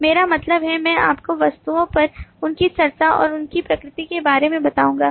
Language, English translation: Hindi, i mean i would refer you back to our discussions on objects and their nature